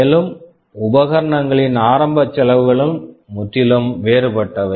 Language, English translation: Tamil, And the initial costs of the equipments are also quite different